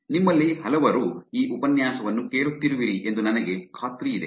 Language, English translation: Kannada, I am sure many of you are listening to this lecture also have multiple accounts